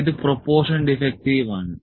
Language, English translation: Malayalam, So, this is proportion defective